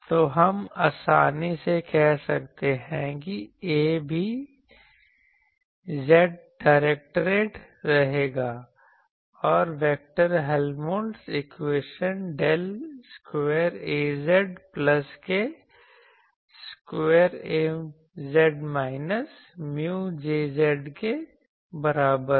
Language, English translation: Hindi, So, we can easily say that A will also be z directed and vector Helmholtz equation turns to be that del square Az plus k square Az is equal to minus mu sorry, minus mu Jz